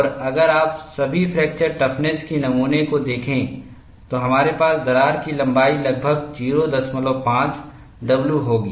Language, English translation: Hindi, And if you look at, for all the fracture toughness specimens, we would have the length of the crack is around 0